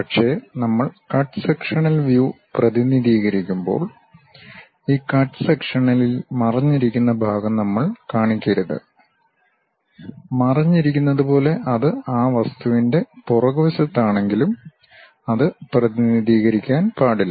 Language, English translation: Malayalam, But, when we are representing cut sectional view, we should not show that hidden part on this cut sectional thing; though it is a back side of that object as hidden, but that should not be represented